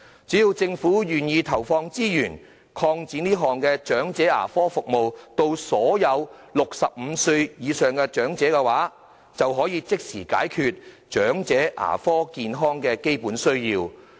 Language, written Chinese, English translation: Cantonese, 只要政府願意投放資源，擴展這項長者牙科服務資助項目至所有65歲或以上的長者，便可以即時解決長者口腔健康的基本需要。, If the Government is willing to allocate resources to expand the Elderly Dental Assistance Programme to cover all elderly persons aged 65 or above their basic needs for oral health can be instantly met